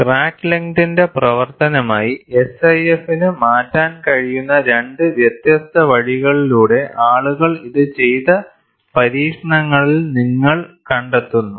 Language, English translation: Malayalam, Here, you find, in experiments, where people have done it for two different ways SIF can change, as the function of crack length